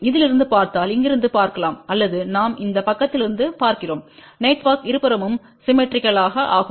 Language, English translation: Tamil, You can see from here if you look from this side or we look from this side network is symmetrical from both the sides